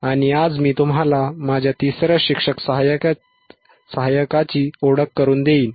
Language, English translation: Marathi, And today I will introduce you to my third teaching assistant